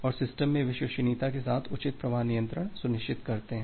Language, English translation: Hindi, And ensure proper flow control along with the reliability in the system